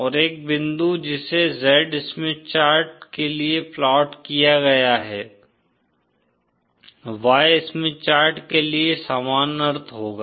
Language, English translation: Hindi, And a point that is plotted for the Z Smith chart, will have the same sense for the Y Smith chart